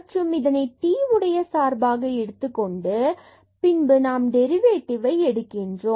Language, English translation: Tamil, And, then making this as a function of t and then taking the derivative